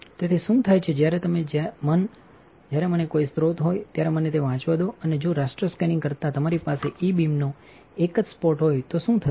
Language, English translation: Gujarati, So, what happens is, when you when you let me let me read it when you have a source and if you have a single spot of E beam rather than raster scanning what will happen this